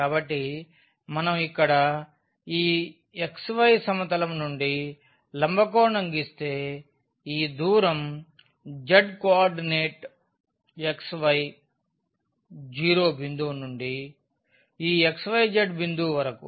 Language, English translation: Telugu, So, if we draw a perpendicular here to this xy plane then this distance is the z co ordinate from this xy 0 point to this x y z point